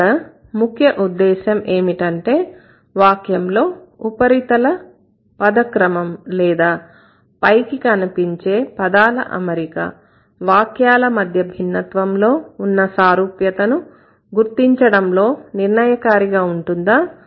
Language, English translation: Telugu, The concern here is that the sentence, the word order or the surface word order is not the deciding factor to identify similarity and differences among sentences